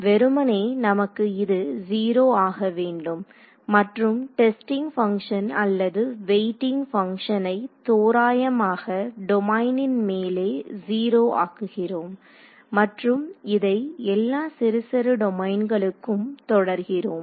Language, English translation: Tamil, Ideally, we want it to be 0 and the testing function which is or the weighing function we are in an average sense enforcing it to 0 over the domain and we repeating this over all of the little little sub domains ok